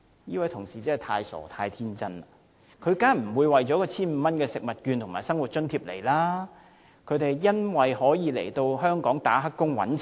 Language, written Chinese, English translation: Cantonese, 這位同事真是太傻、太天真，他們當然不會為了這些食物券和生活津貼來港，他們來港的目的是當"黑工"賺錢。, This colleague of ours is really too simple and naive . They of course would not come to Hong Kong for these food coupons and the living allowance since their aim is to make money here by taking up illegal employment